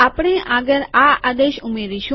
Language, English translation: Gujarati, Next we will add this command